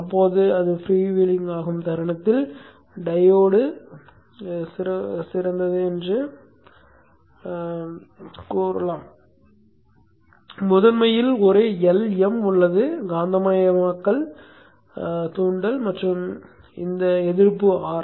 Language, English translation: Tamil, Now this, the is freewheeling, let us the diode is ideal, there is a L in the primary, the magnetizing inductance and this resistance R